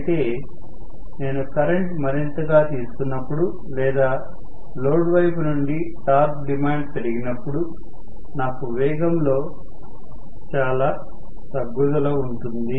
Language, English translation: Telugu, But as I have more and more current drawn, or the torque demanded from the load side, I am going to have at this point so much of drop in the speed